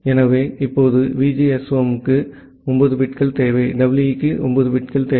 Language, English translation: Tamil, VGSOM plus EE together, they require 10 bits